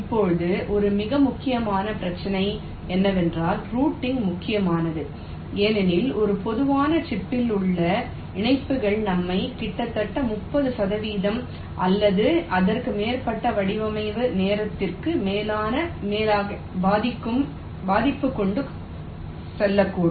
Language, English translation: Tamil, ok, now, one very important issue is that routing is important because inter connections in a typical chip can take us to an overrate of almost thirty percent, or even more of the design time as well as the area over it